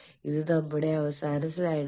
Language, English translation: Malayalam, So, this is the last slide